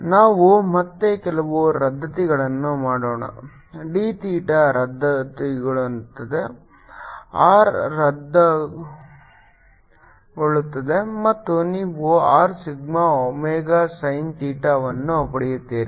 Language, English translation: Kannada, let's again do some cancelation: d theta cancels, r cancels and you get r sigma, omega, sin theta